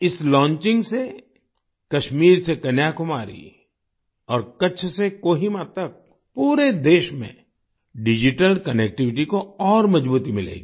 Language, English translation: Hindi, With this launching, from Kashmir to Kanyakumari and from Kutch to Kohima, in the whole country, digital connectivity will be further strengthened